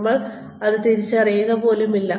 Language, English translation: Malayalam, We do not even realize it